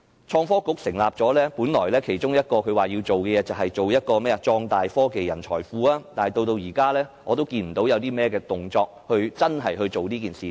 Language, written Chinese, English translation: Cantonese, 創新及科技局成立後，本來它其中一項工作是壯大科技人才庫，但至今我仍未看到有任何動作，真正落實這件事。, Since the establishment of the Innovation and Technology Bureau ITB one of its tasks is to expand the talent pool of technology . But to date I have not seen any action that really undertakes such a task